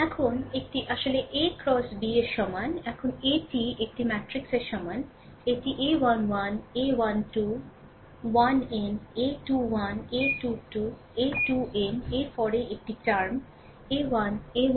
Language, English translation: Bengali, Now a is equal to your a matrix, this a 1 1, a 1 2, a 1 n, a 2 1, a 2 2, a 2 n then in a term a n 1, in throw a n 1, a n 2 a n n, right